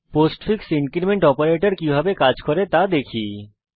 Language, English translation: Bengali, Lets see how the postfix increment operator works